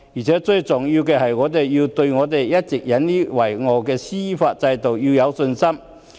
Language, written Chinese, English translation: Cantonese, 最重要的是，我們要對香港一直引以為傲的司法制度有信心。, Most importantly we should have confidence in Hong Kongs judicial system which we have all along taken pride in